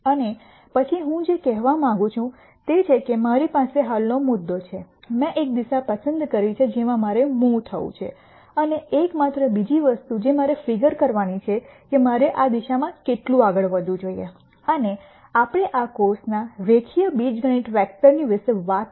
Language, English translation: Gujarati, And then what I am going to say is I have a current point I have chosen a direction in which I want to move the only other thing that I need to gure out is how much should I move in this direction, and remember from vectors we talked about in the linear algebra portion of this course